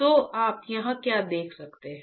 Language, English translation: Hindi, So, what you can see here